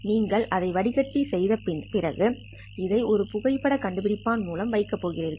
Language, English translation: Tamil, After you have filtered that in the optical domain, you are going to put this one through a photo detector